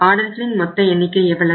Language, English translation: Tamil, So total number of orders will be how much